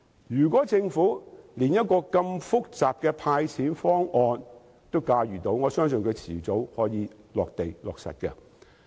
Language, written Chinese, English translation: Cantonese, 如果政府連如此複雜的"派錢"方案也能夠駕馭，我相信我的方案早晚也可以落實。, If the Government can manage such a complicated proposal of handing out money I believe my proposal can be implemented as well sooner or later